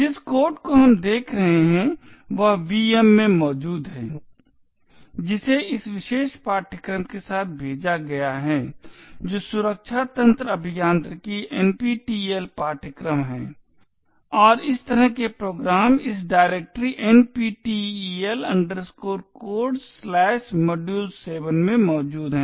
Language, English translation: Hindi, The code that we are looking at is present in the VM that is shipped along with this particular course that is the Secure System Engineering NPTEL course and the program as such is present in this directory NPTEL Codes/module7